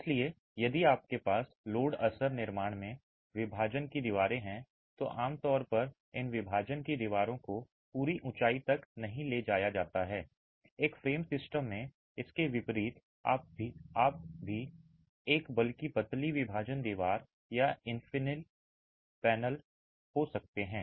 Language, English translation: Hindi, So, if you have partition walls in load bearing constructions, typically these partition walls are not taken to full height, unlike in a frame system where you can still have a rather slender partition wall or an infill panel